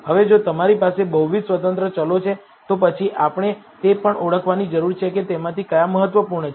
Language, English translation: Gujarati, Now, if you have multiple independent variables, then we also need to identify which of them are important